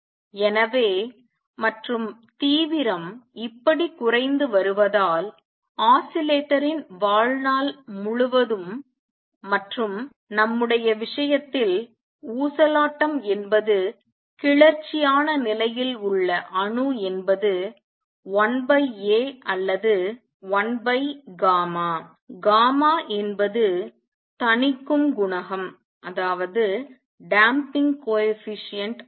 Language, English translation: Tamil, So, and since the intensity is going down like this, so lifetime of the oscillator and in the in our case the oscillator is the atom in the excited state is 1 over A or 1 over gamma the gamma is damping coefficient